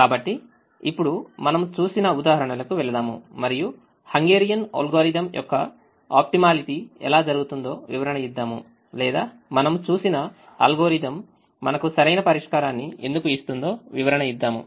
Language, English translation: Telugu, so let us now go to the examples that we have seen and explain how the optimality of the hungarian algorithm happens, or why the algorithm that we have seen gives us the optimum solution